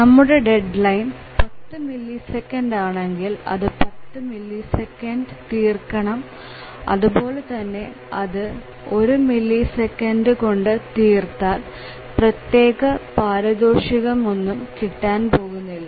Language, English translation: Malayalam, If the deadline is 100 millisecond then it needs to complete by 100 millisecond and there is no reward if it completes in 1 millisecond let us say